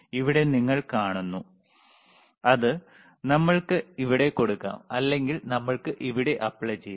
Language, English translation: Malayalam, hHere you see, we can apply through here, or we can apply through here